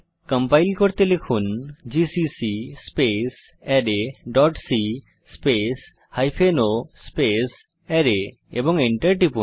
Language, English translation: Bengali, To compile type, gcc space array dot c space hypen o array and press Enter